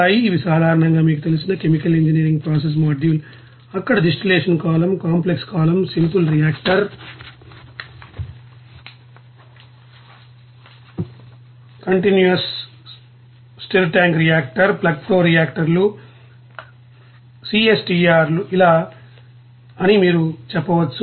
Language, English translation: Telugu, These are you know commonly used chemical engineering process module there also distillation column, complex column there, simple reactor, equilibrium reactor, you can say that plug flow reactors, CSTR like this